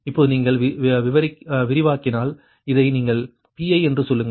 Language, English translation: Tamil, now you expand, right, if you expand, then your say: this is your pi